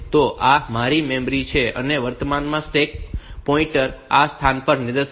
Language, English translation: Gujarati, So, it is this is my memory, and the current stack pointer is pointing to this location